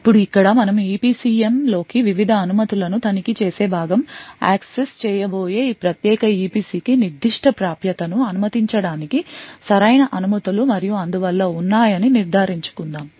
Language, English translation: Telugu, Now over here we is the part where we actually look into the EPCM check the various permissions and so on and ensure that this particular EPC where is going to be accessed has indeed the right permissions to permit that particular access